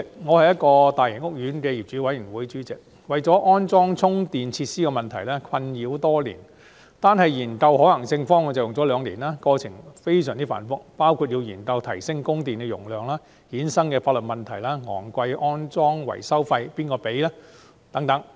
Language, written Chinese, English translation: Cantonese, 我是一個大型屋苑的業主委員會主席，為了安裝充電設施的問題而困擾多年，單是研究可行性方案已用了兩年，過程非常繁複，包括研究如何提升供電容量、由此衍生的法律問題、昂貴的安裝維修費由誰支付等。, I am the chairman of the owners committee of a large housing estate and I have been plagued by the issue concerning the installation of charging facilities for years . The study on feasible options alone took two years and the process was cumbersome involving problems such as how to increase power supply how to tackle the legal problems arisen and who should pay for the expensive installation and maintenance costs